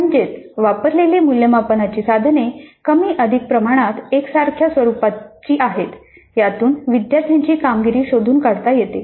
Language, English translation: Marathi, That means the assessment instruments administered are more or less similar in their nature in terms of extracting the performance of the students